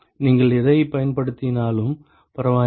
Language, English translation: Tamil, Does not matter what you use ok